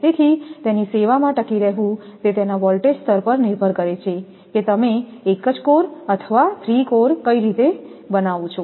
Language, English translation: Gujarati, So, to which has to withstand in service it depends on the voltage level how your do a single core or three core